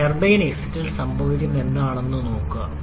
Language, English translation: Malayalam, Also look what is happening on the turbine exit